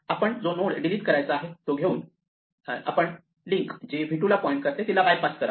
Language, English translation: Marathi, So, we take the node that we want to delete and we just make the link that points to v 2 bypass it